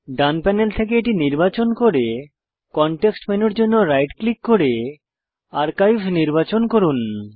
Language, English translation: Bengali, Right click for the context menu and select Archive